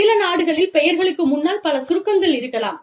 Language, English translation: Tamil, In some countries, the names may have, number of abbreviations, in front of them